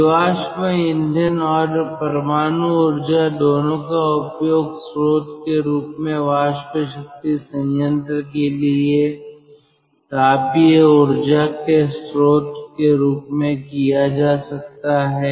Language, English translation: Hindi, ah, both fossil fuel and ah nuclear power can be used as the source, as the thermal reservoir for steam power plant